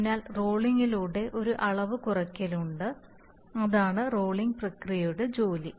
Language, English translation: Malayalam, So there is a dimension reduction through the rolling that is the job of the rolling process